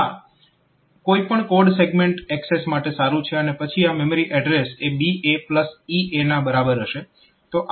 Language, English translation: Gujarati, So, that is good for any code segment access and then the memory address will be this BA plus ea